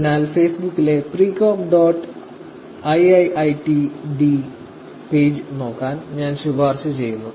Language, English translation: Malayalam, So, I would highly recommend you to look at this page Precog dot IIIT D on Facebook